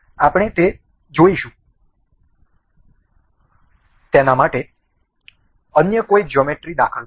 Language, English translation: Gujarati, We will see that let in some other geometry